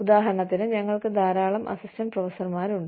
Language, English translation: Malayalam, For example, we are all, you know, we have a large number of assistant professors